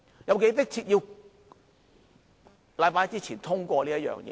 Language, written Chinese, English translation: Cantonese, 有多迫切要在星期一之前通過呢？, Is it so urgent that it must be passed by Monday?